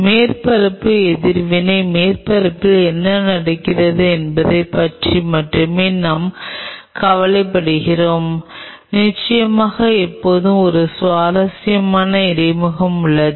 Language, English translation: Tamil, I am only bothered about just what is happening on the surface the surface reaction and of course, there is always a very interesting interface